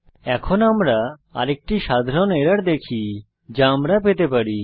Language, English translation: Bengali, Now we will see another common error which we can come across